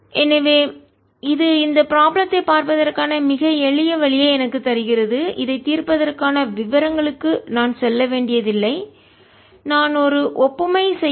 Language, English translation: Tamil, so this gives me a very simple way of looking at this problem and i don't have to go into the details of solving this